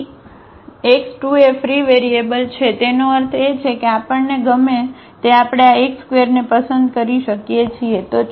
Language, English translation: Gujarati, So, x 2 is free variable free variable; that means, we can choose this x 2 whatever we like